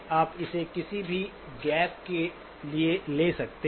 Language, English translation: Hindi, You can take it for any gap